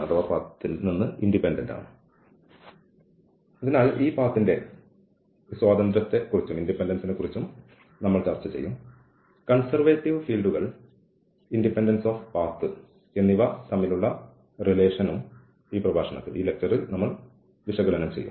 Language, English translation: Malayalam, So, we will also discuss this independence of path and the connection between these conservative fields and independence of path will be explored in this lecture